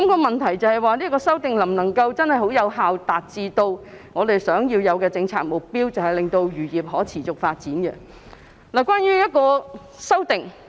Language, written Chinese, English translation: Cantonese, 問題是，有關修訂能否有效達致我們希望達到的政策目標，令漁業可持續發展呢？, The question is can the relevant amendment effectively achieve the policy objective which we wish to attain facilitating sustainable fisheries? . This time the Bill seeks to confer discretionary power on DAFC